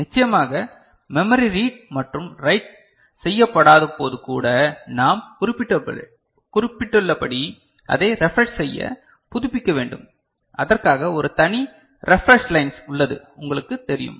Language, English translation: Tamil, Of course, as we have noted even when the memory is not read or written into, it need to be refreshed for which a separate refresh lines are you know associated